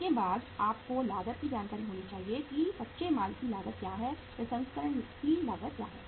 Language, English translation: Hindi, After that you should have the information of the cost that what is the cost of raw material, what is the cost of processing